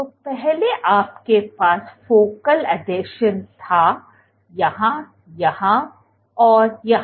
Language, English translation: Hindi, So, earlier you had focal adhesions here, here, here